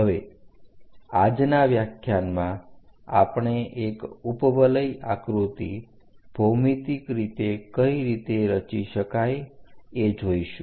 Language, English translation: Gujarati, Now in today's lecture, we will see how to construct an ellipse geometrical means